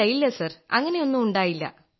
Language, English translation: Malayalam, No no Sir